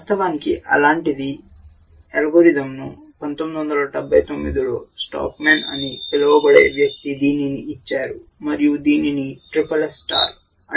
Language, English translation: Telugu, And indeed such an algorithm was given by stockman in 1979 and it is called SSS star